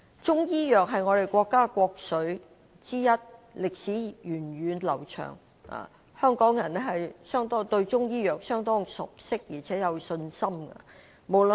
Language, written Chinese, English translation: Cantonese, 中醫藥是我國國粹之一，歷史源遠流長，香港人對中醫藥是相當熟悉而且有信心的。, Chinese medicine is one of the highest achievements of our country and has a very long history . Hong Kong people are very much familiar with it and have faith in it